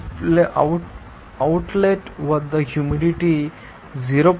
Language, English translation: Telugu, So, humidity at the outlet is 0